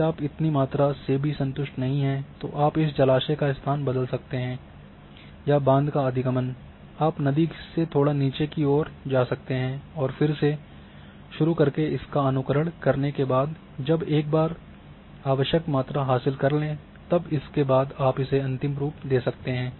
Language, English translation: Hindi, If you are not happy with this even this volume you can change the location of this reservoir or dam access, you can go little downstream then start stimulating again and once you achieved the required volume then you finalize